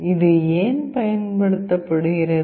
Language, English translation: Tamil, Why it is used